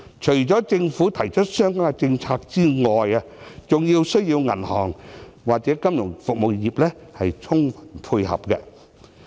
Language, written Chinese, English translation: Cantonese, 除了政府提出相關的政策外，亦需要銀行或金融服務業配合。, The Government should implement corresponding policies and banks and the financial services industry should also work together in this regard